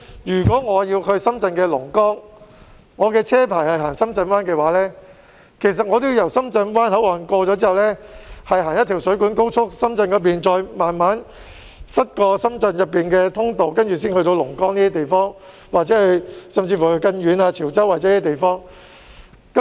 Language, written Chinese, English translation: Cantonese, 如果我要去深圳龍崗，而我的車牌只適用於行駛深圳灣，我便要在經過深圳灣口岸後上水官高速，然後從深圳一邊慢慢塞車經過深圳市內的通道，才能到達龍崗或更遠的潮州等地。, If I want to go to Longgang Shenzhen and my permit is only applicable to Shenzhen Bay I have to access the Shuiguan Expressway via the Shenzhen Bay Port and then inch through the congested thoroughfares in the urban area of Shenzhen as the only way to reach Longgang or places further afar such as Chaozhou